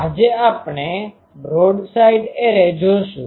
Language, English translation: Gujarati, Now what is a broadside array